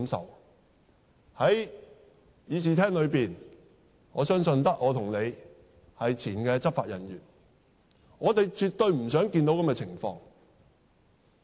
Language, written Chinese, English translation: Cantonese, 在這個議事廳中，我相信只有我和你是前執法人員，我們絕對不想看到這情況。, In this Chamber I think only you and I are former law enforcement officers and we absolutely do not wish to see this happen